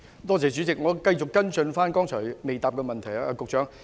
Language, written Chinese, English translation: Cantonese, 代理主席，我想繼續跟進局長剛才未答覆的補充質詢。, Deputy President I would like to follow up on a supplementary question which has not been answered by the Secretary